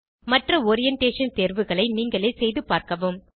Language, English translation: Tamil, You can explore the other Orientation options on your own